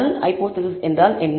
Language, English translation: Tamil, So, what is the null hypothesis